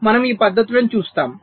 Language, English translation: Telugu, we shall be seeing these methods